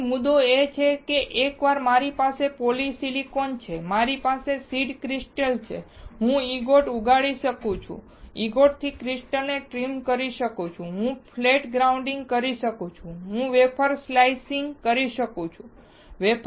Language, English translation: Gujarati, So, point is that once I have my polysilicon, I have my seed crystal, I can grow an ingot, from ingot I can trim the crystal, I can do flat grinding, I can do wafer slicing